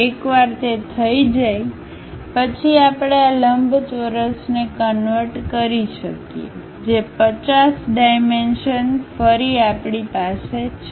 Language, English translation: Gujarati, Once that is done, we can convert this rectangle which 50 dimensions, again we have